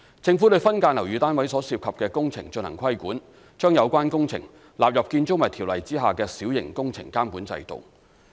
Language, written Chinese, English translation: Cantonese, 政府對分間樓宇單位所涉及的工程進行規管，把有關工程納入《條例》下的小型工程監管制度。, The Government regulates building works associated with subdivided units by including such works in the Minor Works Control System under BO